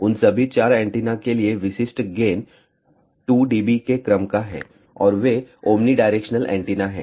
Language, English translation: Hindi, For all those 4 antennas typical gain is of the order of 2 dB and they are omnidirectional antenna